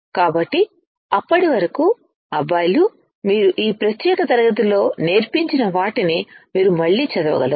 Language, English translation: Telugu, So, till then you guys can again read whatever I have taught in this particular class